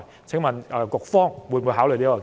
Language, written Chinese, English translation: Cantonese, 請問局方會否考慮這建議？, Will the Secretary consider this proposal?